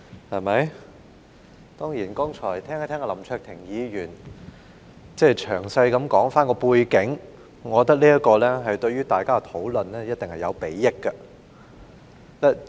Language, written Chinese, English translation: Cantonese, 林卓廷議員剛才詳細交代背景，我認為這對於大家的討論一定有禆益。, Mr LAM Cheuk - ting has just now given a detailed account of the background which I think is certainly conducive to our discussion